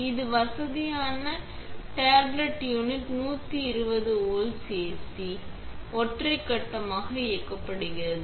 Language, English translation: Tamil, This convenient tabletop unit is powered by 120 volts AC, single phase